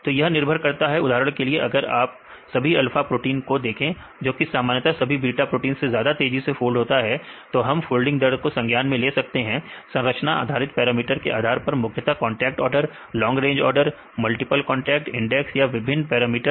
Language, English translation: Hindi, So, depends for example, if you see the all alpha proteins, which usually fold right faster than the all beta proteins then we account this folding rate based on the structure based parameters mainly the contact order, long range order, multiple contact index or different parameters